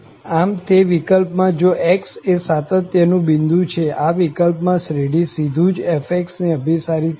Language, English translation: Gujarati, So, in that case, if x is a point of continuity, in this case, the series will converge directly to f